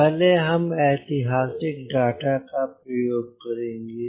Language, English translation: Hindi, so first we will use the historical data